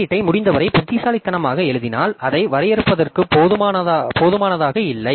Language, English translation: Tamil, So, if you write the code as cleverly as possible, you are by definition not smart enough to debug it